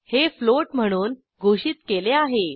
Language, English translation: Marathi, It is declared as float